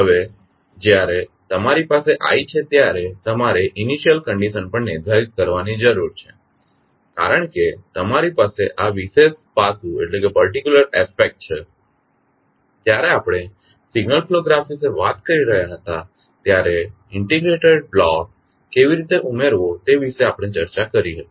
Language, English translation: Gujarati, Now, when you have i you need to specify the initial condition also because you have this particular aspect we discussed when we were talking about the signal flow graph then how to add the integrated block